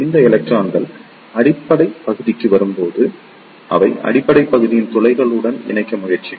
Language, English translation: Tamil, When these electron reaches to the base region, they will try to combine with the holes of the base region